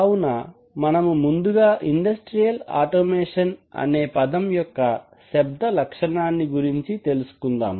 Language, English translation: Telugu, So let’s look at the etymology of the name industrial automation